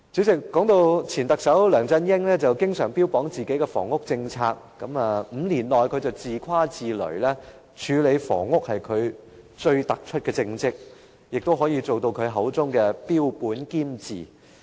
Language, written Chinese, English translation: Cantonese, 說到前特首梁振英，他經常標榜自己的房屋政策，更自誇自擂表示5年來，處理房屋問題是他最突出的政績，可以做到他口中的"標本兼治"。, Former Chief Executive LEUNG Chun - ying often bragged about his housing policy . He even claimed boastfully that tackling the housing problem or in his own words comprehensively tackling the housing problem was his most remarkable achievement during his five - year tenure